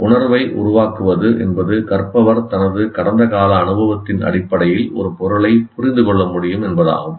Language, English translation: Tamil, Making sense means the learner can understand an item on the basis of his past experience